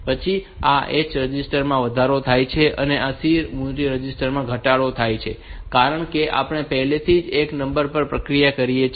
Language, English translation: Gujarati, Then this H register is incremented this C value C register is decremented, because we have already processed one number